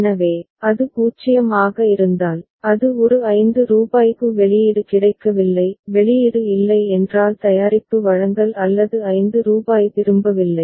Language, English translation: Tamil, So, if it is 0, it is at state a rupees 5 has been received no output; no output means no product delivery or rupees 5 returned